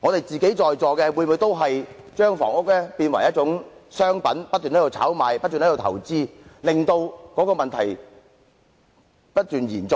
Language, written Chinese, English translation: Cantonese, 在座各位是否也已把房屋變為一種商品，不斷進行炒賣投資，令問題不斷延續呢？, Have Members present turned housing units into a kind of commodity and engaged in continuous speculation and investment thus contributing to the continuity of the problem?